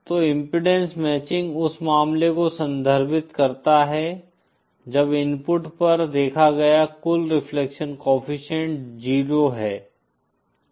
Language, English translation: Hindi, So impedance matching refers to the case when the total reflection coefficients seen at the input is 0